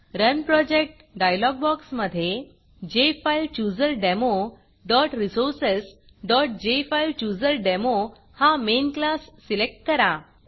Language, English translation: Marathi, In the Run Project dialog box, select the jfilechooserdemo.resources.JFileChooserDemo main class